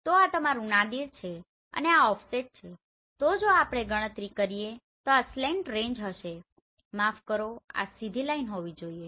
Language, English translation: Gujarati, So this is your Nadir and this is the offset so if we calculate this will be slant range sorry this has to be straight line